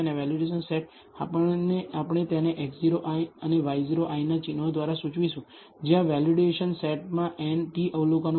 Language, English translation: Gujarati, And the validation set, we will denote it by the symbols x 0 i and y 0 i where there are n t observations in the validation set